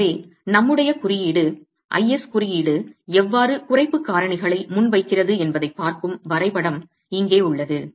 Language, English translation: Tamil, So, I have here a graph that looks at how our code, the IS code presents the reduction factors